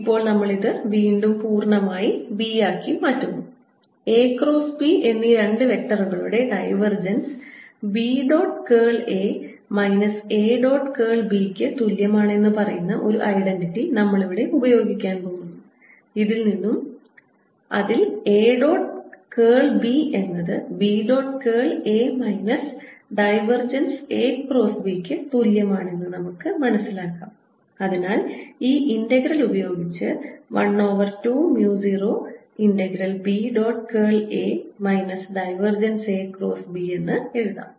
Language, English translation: Malayalam, we are going to use an identity which says that divergence of a cross b two vectors is equal to b dot curl of a minus a dot curl of b, which immediately tells me that a dot curl of b is equal to b dot curl of a minus divergence of a cross b, and therefore this integral again can be written as the work done is equal to one over two mu zero integral of the volume integral